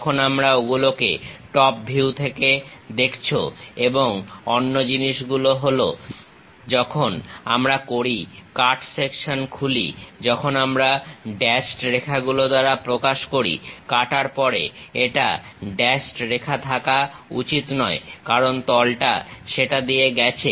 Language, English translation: Bengali, When you are seeing that though at top view and other things when we did open the cut section, we represent by dashed lines, but after cut it should not be a dashed line because plane is passing through that